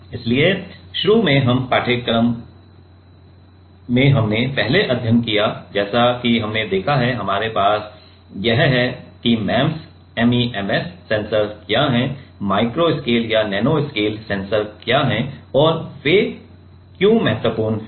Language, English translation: Hindi, So, initially in this course we have first studied about like we have seen, we have that what are MEMS sensors, what are micro scale or nano scale sensors and why they are important right